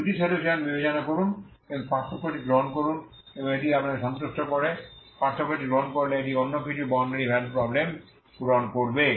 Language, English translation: Bengali, Consider two solutions and take the difference and it satisfies you take the difference it will satisfy some other boundary value problem